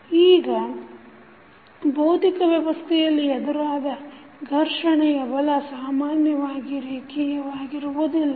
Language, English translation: Kannada, Now, the frictional forces encountered in physical systems are usually non linear in nature